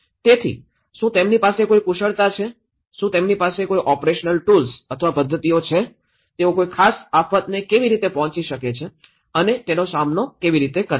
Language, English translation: Gujarati, So, do they have any skills, do they have any operational tools or methods, how they approach and tackle a particular disaster